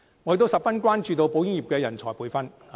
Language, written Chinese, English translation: Cantonese, 我亦十分關注保險業的人才培訓問題。, I am also very concerned about the manpower training issue of the insurance sector